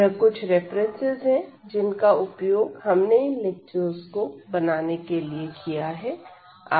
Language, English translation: Hindi, These are the references which are used to prepare these lectures